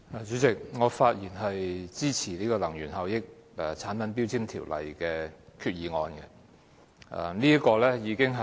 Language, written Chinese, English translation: Cantonese, 主席，我發言支持根據《能源效益條例》動議的擬議決議案。, President I speak in support of the proposed resolution moved under the Energy Efficiency Ordinance